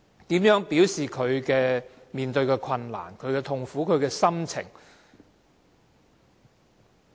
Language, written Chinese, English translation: Cantonese, 如何表示面對的困難、痛苦和心情？, How did he express the difficulties agony and emotions he was experiencing?